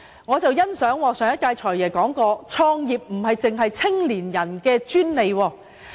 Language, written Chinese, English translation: Cantonese, 我很欣賞上任"財爺"所言，創業並非年青人的專利。, I entirely agree with the former God of Wealth that it is not the exclusive right of young people to start a business